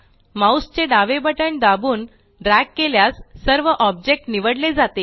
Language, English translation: Marathi, Now press the left mouse button and drag so that all the objects are selected